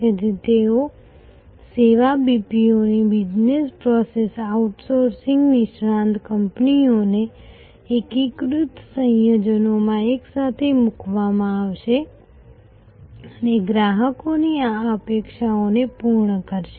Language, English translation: Gujarati, So, they will be service BPO's Business Process Outsourcing expert companies put together in a seamless combination will meet this customers array of expectation